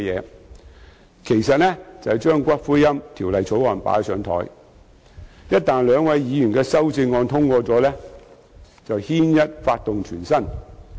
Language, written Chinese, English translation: Cantonese, 這其實是把《私營骨灰安置所條例草案》"擺上檯"，因為一旦兩位議員的修正案獲得通過，便會"牽一髮動全身"。, In fact this is an attempt to hijack the Private Columbaria Bill because the passage of the amendments proposed by both Members will have great implications